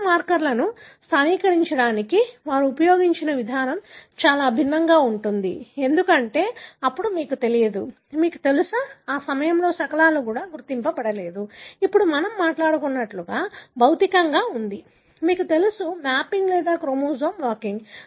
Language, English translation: Telugu, The reason being the approach that they used for localising a given marker is very different, because then you do not, you know, that time even the fragments were not identified like the way now we are talking about that there is a physical, you know, mapping or chromosome walking